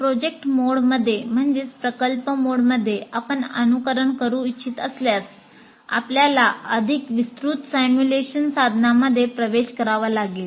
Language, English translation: Marathi, In a project mode if you want, you have to have access to a bigger, more elaborate simulation tools